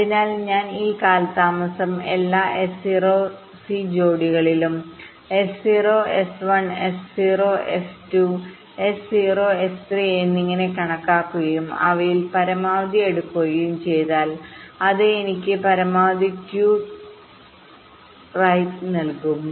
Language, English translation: Malayalam, so if i calculate this delay across all, s zero and s i pairs, s zero, s one s zero, s two, s zero, s three and so on, and take the maximum of them, that will give me the maximum skew, right